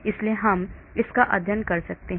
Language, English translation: Hindi, so I can study this